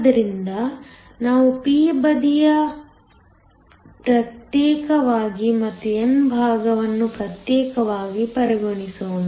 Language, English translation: Kannada, So, let us consider the p side separately and the n side separately